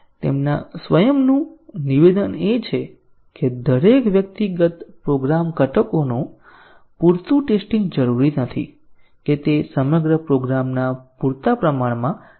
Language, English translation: Gujarati, The statement of his axiom is that adequate testing of each individual program components does not necessarily suffice adequate test of entire program